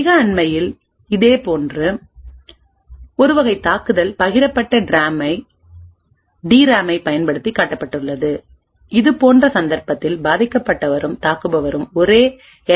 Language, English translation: Tamil, Very recently a very similar type of attack was also showed using a shared DRAM in such a case the victim and the attacker do not have to share the same LLC but have to share a common DRAM